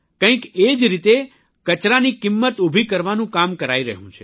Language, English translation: Gujarati, In the same way, efforts of converting Waste to Value are also being attempted